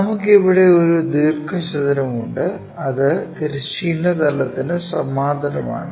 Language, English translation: Malayalam, So, we have a rectangle here and this is parallel to horizontal plane